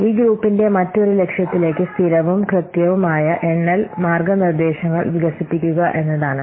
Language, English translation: Malayalam, Another objective of this group is to develop consistent and accurate counting guidelines